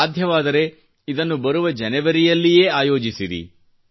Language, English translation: Kannada, If possible, please schedule it in January